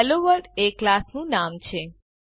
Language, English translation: Gujarati, HelloWorld is the name of the class